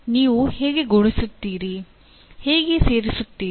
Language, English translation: Kannada, How do you multiply, how do you add